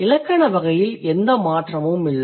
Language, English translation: Tamil, So, the grammatical category has changed